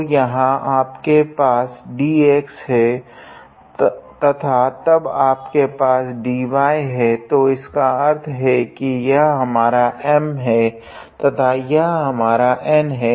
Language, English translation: Hindi, So, here you have dx and then this thing and then you have dy and then this thing, so; that means, this must be our M and this must be our N